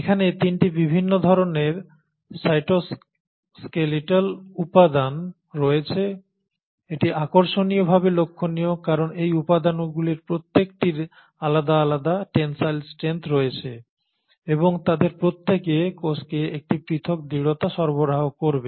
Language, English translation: Bengali, Now there are 3 different kinds of cytoskeletal elements, and that is interesting to note because each of these elements have different tensile strength and each of them will provide a different rigidity to the cell